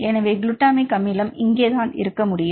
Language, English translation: Tamil, So, glutamic acid you can right it is here